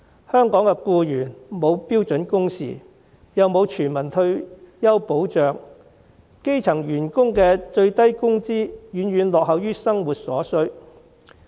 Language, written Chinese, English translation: Cantonese, 香港僱員沒有標準工時，沒有全民退休保障，基層員工的最低工資遠遠落後於生活所需。, Hong Kong employees enjoy neither standard working hours nor universal retirement protection . The increase in minimum wages of grass - roots workers lags far behind their livelihood needs